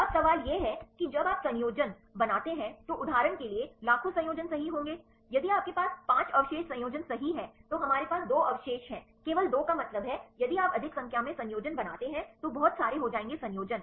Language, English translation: Hindi, Now, the question is when you make the combinations there will be millions of combinations right for example, if you have the 5 residue combination right, we have 2 residues means only 2, if you make more number of combinations right there will be lot of combinations